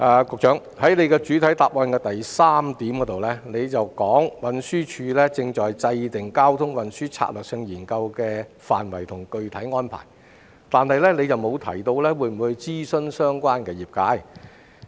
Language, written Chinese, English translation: Cantonese, 局長在主體答覆第三部分提到，運輸署正制訂《交通運輸策略性研究》的範圍及具體安排，但沒有提到會否諮詢相關業界。, As indicated by the Secretary in part 3 of the main reply TD is formulating the scope and the detailed arrangements for the traffic and transport strategy study . However he has failed to mention whether the relevant sector will be consulted